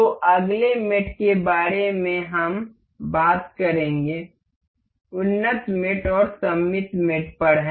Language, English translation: Hindi, So, the next mate, we will talk about is in advanced mate is symmetric mate